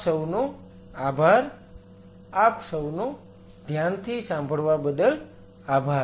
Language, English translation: Gujarati, Thank you, thanks for your patience listening